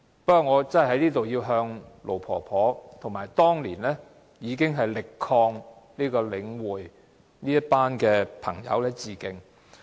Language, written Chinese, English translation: Cantonese, 不過，我在這裏要向盧婆婆和當年力抗領展的朋友致敬。, But here I have to pay tribute to Auntie LO and others who fought hard against Link REIT back in those years